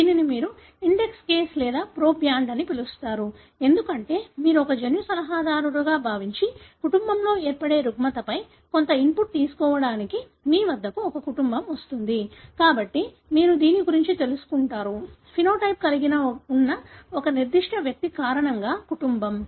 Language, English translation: Telugu, This you call as index case or proband, because, assuming that you are a genetic counselor and there is a family that comes to you to take some input on, on the disorder that may set in the family, so you get to know of this family because of a particular individual who may have a phenotype